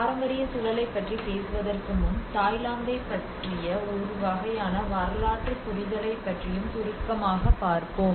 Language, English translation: Tamil, Before coming into the heritage context, let us also brief you about a kind of historical understanding of Thailand